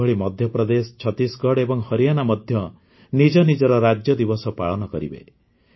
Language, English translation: Odia, Similarly, Madhya Pradesh, Chhattisgarh and Haryana will also celebrate their Statehood day